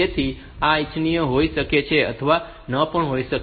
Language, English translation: Gujarati, So, this may or may not be desirable